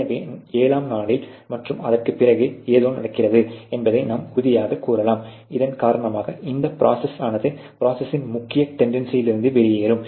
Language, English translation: Tamil, And so you can actually a certain that a something happen during a 7 day and beyond which cause that this process to become more like an out lair from the main tendency of the process